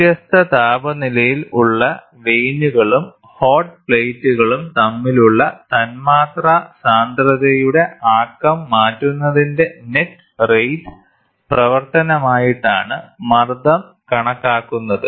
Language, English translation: Malayalam, The pressure is measured as a function of net rate of change of momentum of molecular density between the vanes of a pump and the hot plate at which are kept at different temperatures